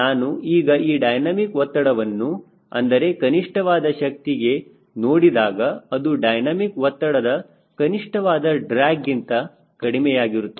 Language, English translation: Kannada, so dynamic pressure for minimum power will be less than dynamic pressure that minimum drag